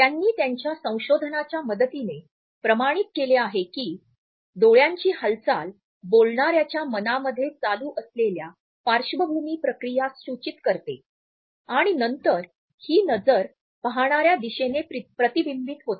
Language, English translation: Marathi, They have authenticated with the help of their research that the random movement of the eyes indicate the background processes which are running through the mind of the speaker and then this is reflected through the direction of gaze